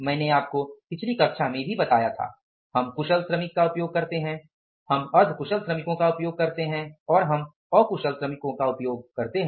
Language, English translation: Hindi, I told you in the previous class also, we used skilled workers, we use the semi skilled workers and we used unskilled workers